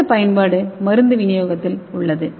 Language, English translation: Tamil, And next one is for drug delivery application